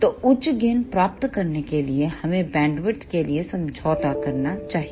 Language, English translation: Hindi, So, to achieve higher gains we should compromise for bandwidth